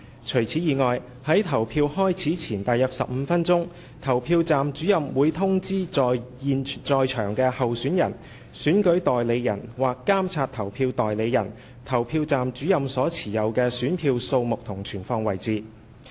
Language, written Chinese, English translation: Cantonese, 除此之外，在投票開始前約15分鐘，投票站主任會通知在場的候選人/選舉代理人/監察投票代理人，投票站主任所持有的選票的數目和存放位置。, Moreover about 15 minutes before the poll began PRO informed the candidateselection agentspolling agents present of the quantity of ballot papers possessed by himher and where the ballot papers were placed